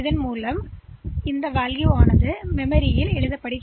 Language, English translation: Tamil, So, as a result the value will be written on to the memory